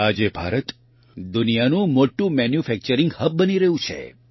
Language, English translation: Gujarati, Today India is becoming the world's biggest manufacturing hub